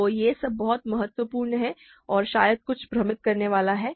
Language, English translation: Hindi, So, all this is very important and somewhat confusing perhaps